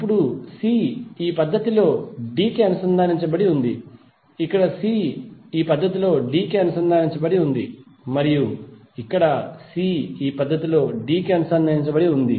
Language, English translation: Telugu, Now c is connected to d in this fashion here c is connected to d in this fashion and here c is connected to d in this fashion